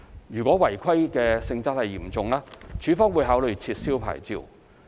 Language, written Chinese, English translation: Cantonese, 若違規性質嚴重，署方會考慮撤銷牌照。, If the nature of the breach is serious LandsD will consider cancelling the licence